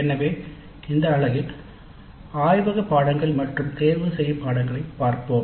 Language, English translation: Tamil, So in this unit we look at laboratory courses and elective courses